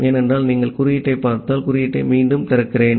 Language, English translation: Tamil, Because if you look into the code, let me open the code again